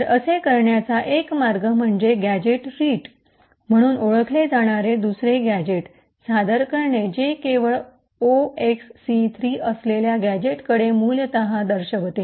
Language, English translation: Marathi, So one way to do this is by introducing another gadget known as the gadget return which essentially points to a gadget containing just 0xc3